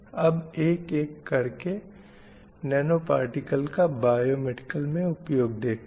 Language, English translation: Hindi, So why we are using these nanoparticles for medicine application, biomedical application